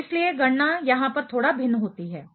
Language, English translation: Hindi, So, therefore, the calculation varies little bit over here